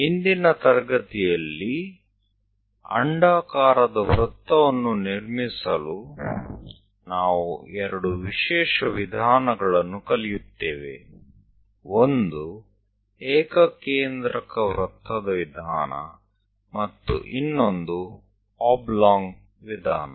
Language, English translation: Kannada, In today's class, we will learn two special methods to construct ellipse, one is concentric circle method, and other one is oblong method